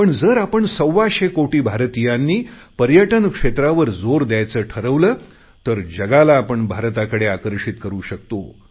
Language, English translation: Marathi, But if we, 125 crore Indians, decide that we have to give importance to our tourism sector, we can attract the world